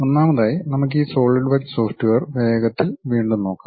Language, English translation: Malayalam, First of all let us quickly revisit this Solidworks software